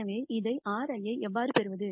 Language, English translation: Tamil, So, how do I get this in R